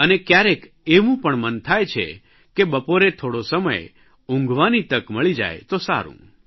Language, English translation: Gujarati, Sometimes we feel a nap in the afternoon would be nice